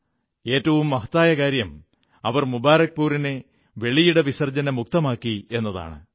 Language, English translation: Malayalam, And the most important of it all is that they have freed Mubarakpur of the scourge of open defecation